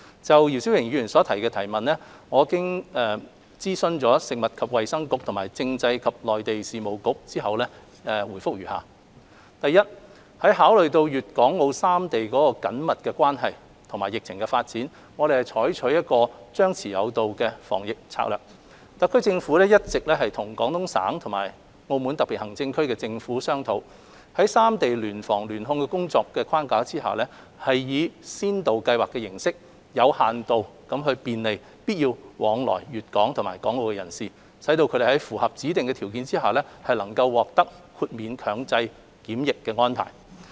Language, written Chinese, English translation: Cantonese, 就姚思榮議員提出的質詢，我經諮詢食物及衞生局和政制及內地事務局後，答覆如下：一考慮到粵港澳三地的緊密關係和疫情發展，我們採取"張弛有度"防疫策略，特區政府一直與廣東省和澳門特別行政區政府商討，在三地聯防聯控的工作框架下，以先導計劃的形式，有限度便利必要往來粵港和港澳的人士，使他們在符合指定條件下能獲得豁免強制檢疫的安排。, Having consulted the Food and Health Bureau and the Constitutional and Mainland Affairs Bureau my reply to the question raised by Mr YIU Si - wing is as follows 1 In view of the close connection among Guangdong Hong Kong and Macao and the development of the epidemic situation we are adopting the suppress and lift strategy in controlling the epidemic . The Hong Kong Special Administrative Region SAR Government is in active discussion with the governments of Guangdong Province and Macao SAR under the framework of joint prevention and control to explore arrangement of exempting cross - boundary travellers from compulsory quarantine within certain limits subject to specific conditions on a pilot scheme basis so as to facilitate people who need to travel between Guangdong and Hong Kong or between Hong Kong and Macao